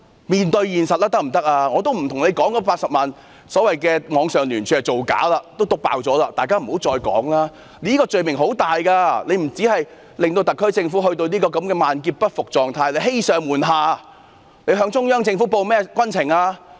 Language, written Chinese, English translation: Cantonese, 我已沒有說出，所謂的80萬人網上聯署是造假，這事已被揭穿，大家不要再提了，這個罪名很嚴重的，不單令特區政府陷入這種萬劫不復的狀態，更是欺上瞞下，他們向中央政府匯報了甚麼軍情？, I have yet to mention that the so - called online signature campaign supported by 800 000 people is fabricated and it has been exposed . So please do not mention it anymore as the accusation is very serious . They have not only dragged the SAR Government into such a state of everlasting perdition but also deceived their superiors and deluded their subordinates